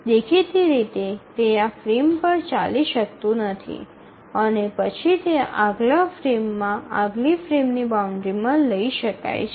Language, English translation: Gujarati, Obviously it cannot run on this frame and then it can only be taken up in the next frame, next frame boundary